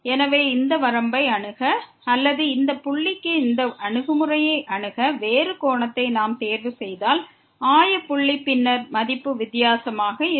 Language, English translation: Tamil, So, if we choose a different angle to approach to this limit or to this approach to this point here the origin then the value will be different